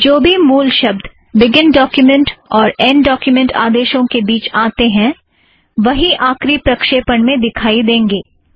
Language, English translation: Hindi, Whatever comes in between the begin and end document commands only will be in the final output